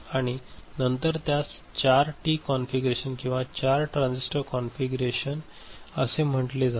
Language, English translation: Marathi, Then that will be called 4T configuration or 4 transistor configuration ok